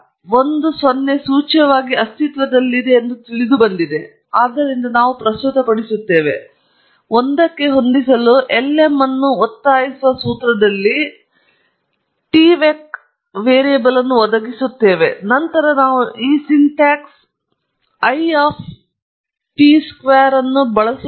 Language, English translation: Kannada, a 0 is implicitly understood to be present, so we present, we are supplying tvec here in the formula forcing lm to fit an a 1, and then we used this syntax I of tvec square